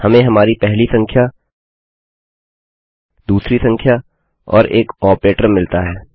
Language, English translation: Hindi, We have got our first number, our second number and an operator